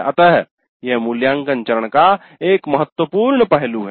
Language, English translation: Hindi, So that is the important aspect of the evaluate phase